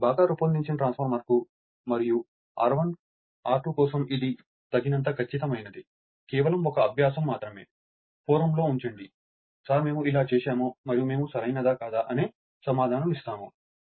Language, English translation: Telugu, This is sufficiently accurate for a well designed transformer and for R 1 R 2, just an exercise for you just you see you know you put the you put in on the forum that sir we are doing like this and we will we will we will give the answer whether you are correct or not right